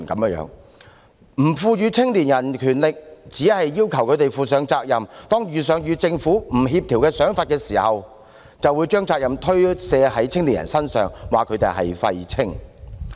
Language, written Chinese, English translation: Cantonese, 不賦予青年人權力，只是要求他們負上責任，當遇上與政府不協調的想法時，便將責任推卸到青年人身上，說他們是"廢青"。, Young people are not given any power but are asked to assume responsibility . When their thinking is in discord with that of the Government the responsibility is shifted to young people and they are called waste youth